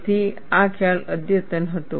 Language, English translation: Gujarati, So, this concept was advanced